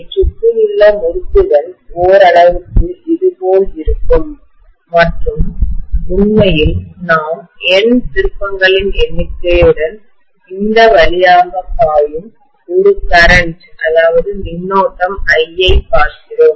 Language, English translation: Tamil, We are going to have the windings around it somewhat like this and we are actually looking at a current I flowing through this with the number of turns being N, this is what we said